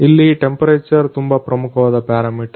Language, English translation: Kannada, The temperature is a very important parameter here